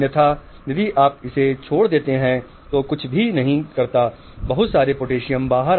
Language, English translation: Hindi, Otherwise if you just leave it open doing nothing, there are a lot of potassium outside